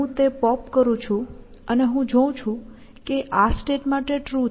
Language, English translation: Gujarati, I pop that and I see that is true in this state